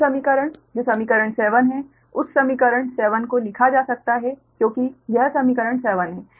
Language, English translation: Hindi, this equation, that equation seven, that equation seven, uh, can be written as this is equation seven